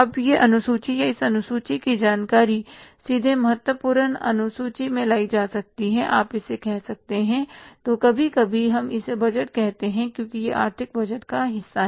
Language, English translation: Hindi, Now, these schedules or the information from these schedules can be state way taken to the third important, say, schedule you would call it as or sometimes we call it as a budget because it is a part of the financial budget